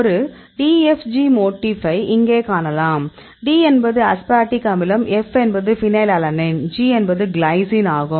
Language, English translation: Tamil, You can see here this is a DFG motif; D is aspartic acid, F is a phenylalanine, G is the glycine you can see here